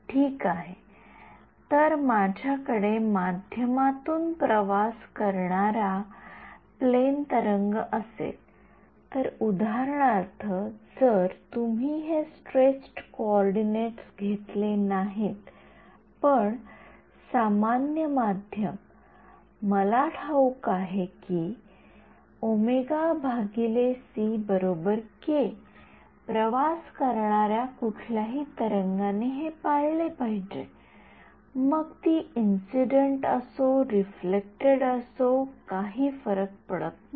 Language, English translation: Marathi, Right so, if I have a plane wave travelling in this medium for example, if you take not this stretched coordinates but, a normal medium rights over there I know that omega by c is equal to k, any wave travelling has to obey this, whether it is incident or reflected it does not matter